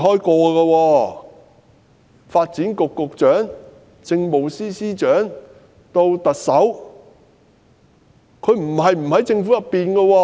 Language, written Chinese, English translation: Cantonese, 她曾擔任發展局局長、政務司司長，以至特首，不曾離開政府。, She was once the Secretary for Development and the Chief Secretary for Administration and she is now the Chief Executive . She has never left the Government